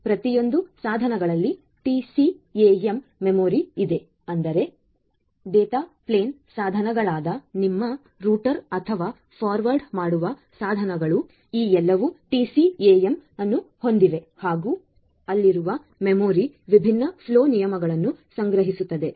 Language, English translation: Kannada, That are there the TCAM memory are there in each of these devices; that means, the data plane devices; that means, your router or the forwarding devices you have all these TCAM memory that are there which will store the different flow rules